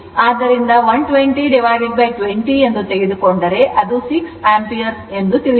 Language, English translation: Kannada, So, if you take 120 by 20 you will find it is 6 ampere right